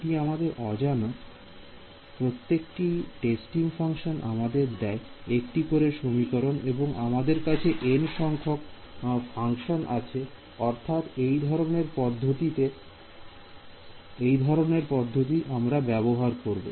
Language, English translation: Bengali, That is my unknown every testing function gives me one equation and I have n such distinct functions; so, that is that is the sort of philosophy that we use